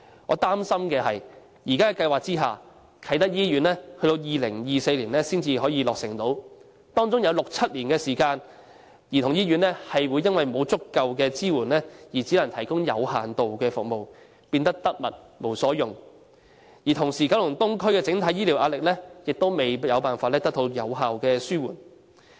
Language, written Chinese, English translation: Cantonese, 我擔心的是，在現時的計劃下，啟德醫院要到2024年才可落成，其間有六七年時間，香港兒童醫院會因為沒有足夠支援而只能提供有限度的服務，變成得物無所用；同時，九龍東的整體醫療服務壓力亦無法有效紓緩。, My worry is that under the present plan the Kai Tak Hospital will not be completed until 2024 presenting a time gap of six or seven years during which the Hong Kong Childrens Hospital without sufficient support will only be able to provide limited services and thus rendered useless . At the same time it will also be unable to effectively relieve the pressure on healthcare services in Kowloon East overall